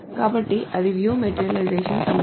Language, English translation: Telugu, So that is the view materialization issue